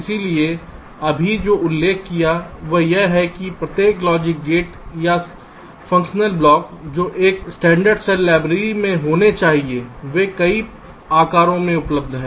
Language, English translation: Hindi, ok, so what i have just now mentioned is that each logic gate, or the simple functional blocks which are supposed to be there in a standard cell library, are available in multiple sizes